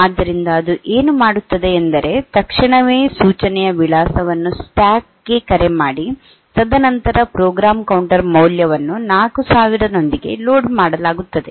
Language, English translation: Kannada, So, what it does is that the PUSH the address of the instruction immediately following call on to the stack, and then the program counter value is loaded with 4000